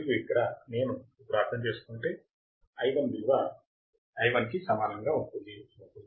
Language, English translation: Telugu, And here if I want to understand then Ii would be equal to I1 right